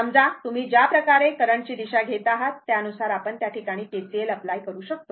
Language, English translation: Marathi, Suppose ah the way you take the direction of the current and accordingly you apply KCL at this point right